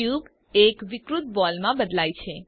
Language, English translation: Gujarati, The cube deforms into a distorted ball